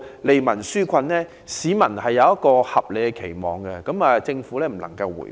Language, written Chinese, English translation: Cantonese, 市民對此抱有合理期望，政府不能迴避。, The Government must not evade reasonable public expectations